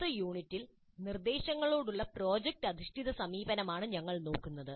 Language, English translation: Malayalam, So in the next unit we look at project based approach to instruction